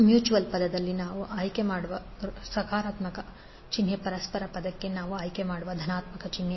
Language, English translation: Kannada, Now the positive sign we will select when mutual term in both the mutual the positive sign we select for the mutual term